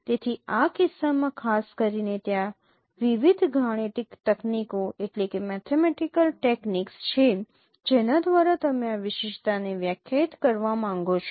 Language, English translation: Gujarati, So in this case particularly there are various mathematical techniques by which we would like to define this uniqueness